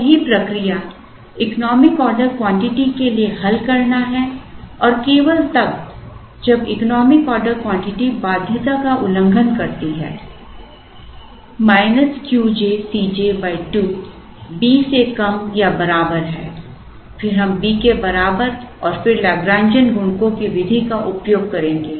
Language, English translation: Hindi, So, the correct procedure is to solve for the economic order quantity and only when, the economic order quantities violate the condition Q j C j by 2 is less than or equal to B, then we make it equal to B and then use the method of Lagrangian multipliers